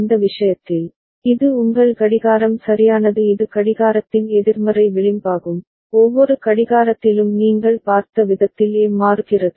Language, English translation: Tamil, In this case, so this is your clock right this is the negative edge of the clock, A is changing at every clock the way you have seen